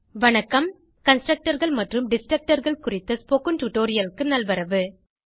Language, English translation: Tamil, Welcome to the spoken tutorial on Constructors and Destructors in C++